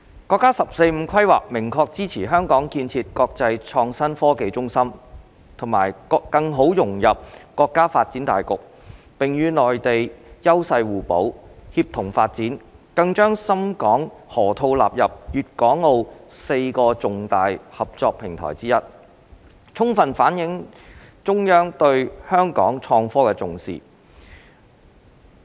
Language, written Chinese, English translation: Cantonese, 國家"十四五"規劃明確支持香港建設國際創新科技中心和更好融入國家發展大局，並與內地優勢互補，協同發展，更將深港河套納入粵港澳4個重大合作平台之一，充分反映了中央對香港創科的重視。, The National 14th Five - Year Plan clearly supports Hong Kongs development into an international IT hub and integration into national development leveraging the complementary advantages with the Mainland for synergistic development and has included the Shenzhen - Hong Kong Loop as one of the four major platforms of cooperation between Guangdong Hong Kong and Macao